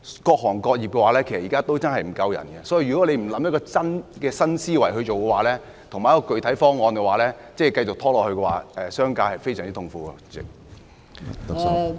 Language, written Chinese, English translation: Cantonese, 各行各業現時確實欠缺人手，如果你不提出一個新思維和具體的方案，繼續拖延下去，商界會非常痛苦。, Various trades and industries are indeed experiencing a shortage of labour . If you do not put forward a proposal with a new mindset and concrete details but continue to stall on this problem the business sector would suffer very badly